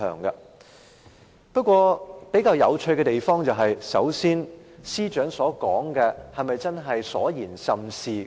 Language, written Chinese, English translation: Cantonese, 不過，比較有趣的是，首先，司長所說的是否都是事情？, However it is interesting to note first is everything the Chief Secretary said the true facts?